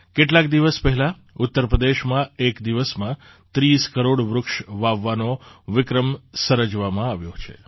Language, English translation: Gujarati, A few days ago, in Uttar Pradesh, a record of planting 30 crore trees in a single day has been made